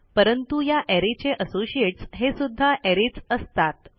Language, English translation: Marathi, However, the associates for this array are arrays themselves